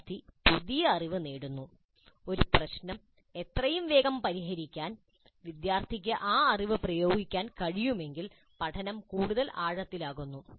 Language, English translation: Malayalam, The student acquires the new knowledge and if the student is able to apply that knowledge to solve a problem as quickly as possible, the learning becomes deeper